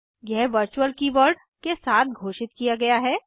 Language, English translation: Hindi, It is declared with virtual keyword